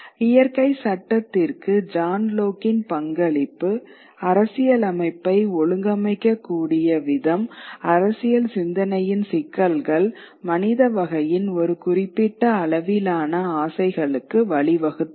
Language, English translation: Tamil, And John Locke's contribution to the natural law, the way constitution could be organized, issues of political thinking led to a certain degree of aspirations of the humankind